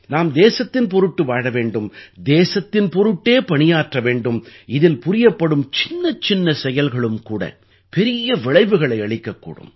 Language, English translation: Tamil, We have to live for the country, work for the country…and in that, even the smallest of efforts too produce big results